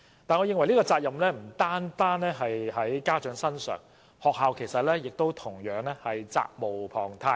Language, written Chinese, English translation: Cantonese, 我認為這個責任不應只由家長擔當，學校同樣責無旁貸。, In my opinion the responsibility should not be borne by parents alone . Schools should similarly be responsible